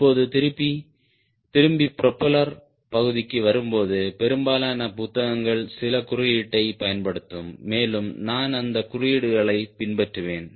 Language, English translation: Tamil, coming back to the propeller part, most of the book will be using some notation and i will be also following those notations